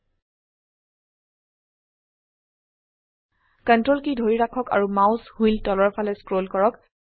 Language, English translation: Assamese, Hold Ctrl and scroll the mouse wheel downwards